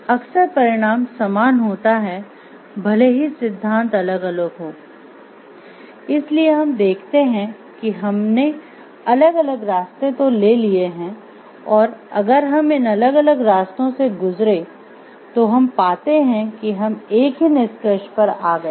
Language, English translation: Hindi, Frequently the result will be the same even though the theories are different so if we see we have taken different paths and if we see like moving through these different paths we are coming to a conclusion